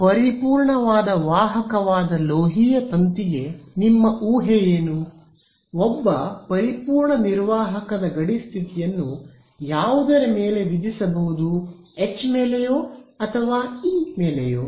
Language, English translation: Kannada, So, if your what is a reasonable assumption for a metallic wire that is a perfect conductor; on a perfect conductor what kind of boundary condition can I imposed can I imposed on H or an E